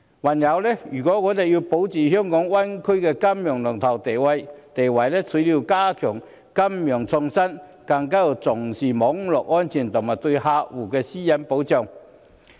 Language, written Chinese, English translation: Cantonese, 還有，如果我們要保住香港在大灣區內的金融龍頭地位，除了要加強金融創新，更要重視網絡安全及對客戶私隱的保障。, Moreover if we wish to maintain our status as the leading financial centre in the Greater Bay Area we need not only to step up financial innovations but also to attach importance to network safety and protection of customers privacy